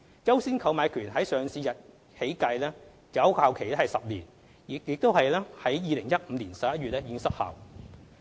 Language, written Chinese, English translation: Cantonese, "優先購買權"自上市日起計，有效期10年，即已於2015年11月失效。, The right of first refusal was effective for a period of 10 years commencing from the listing day which means that it has already expired in November 2015